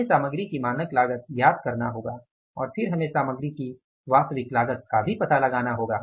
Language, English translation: Hindi, We have to find out the standard cost of the material and then we have to find out the actual cost of the material also